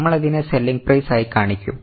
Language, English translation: Malayalam, Then we will simply show it as selling price